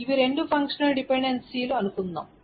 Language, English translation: Telugu, So suppose these are the two functional dependencies